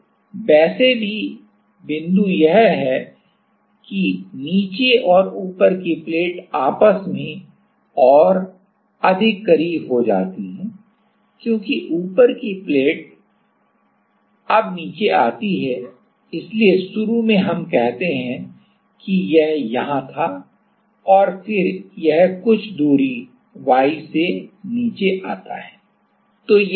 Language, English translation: Hindi, So, anyway the point is that the bottom that the top plate now come down or become even more closer to the so initially let us say it was here and then it comes down by some distance y